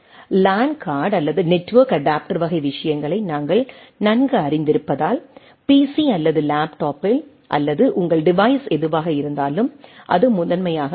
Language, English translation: Tamil, As we are familiar with LAN card or network adapter type of things, that primarily in a pc or laptop or whatever the your device is